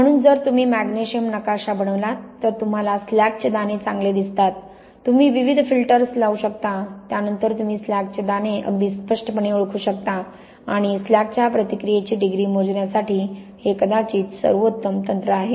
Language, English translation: Marathi, So, if you make a magnesium map, here you can see quite well the slag grains, you can apply various filters to then, very clearly identify well the slag grains and this is probably the best technique for measuring the degree of reaction of slag